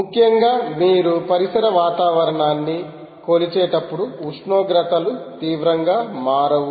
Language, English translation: Telugu, see, essentially, when you are measuring an ambient environment ah, the temperatures dont change drastically